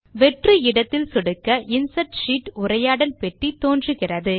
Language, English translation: Tamil, On clicking the empty space, we see, that the Insert Sheet dialog box appears